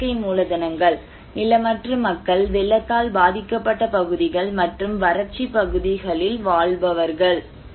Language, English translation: Tamil, And natural capitals: is landless, live on flood prone areas and drought areas